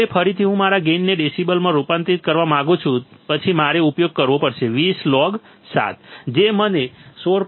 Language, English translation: Gujarati, Now, again I want to convert my gain in decibels then I have to use 20 log 7 that will give me value of 16